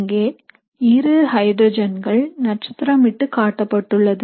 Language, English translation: Tamil, So is shown here are these two hydrogens in star